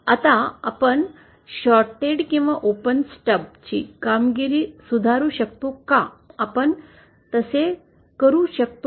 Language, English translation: Marathi, Now, can we improve the performance of this shorted or open stub, can we do that